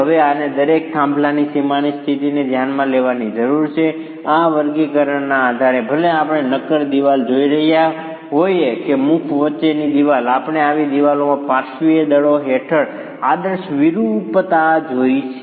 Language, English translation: Gujarati, Now, this requires a consideration of the boundary conditions of each of the peers and based on this categorization, whether we are looking at a solid wall or a wall between openings, we have looked at the ideal deformation under lateral forces of such walls